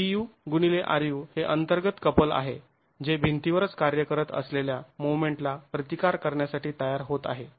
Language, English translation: Marathi, U into RU is what is the internal couple that is forming to resist the external moment that is acting on the wall itself